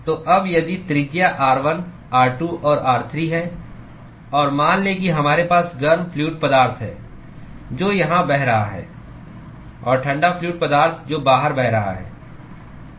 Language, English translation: Hindi, So, now if radius is r1, r2 and r3; and let us say we have hot fluid which is flowing here and the cold fluid which is flowing outside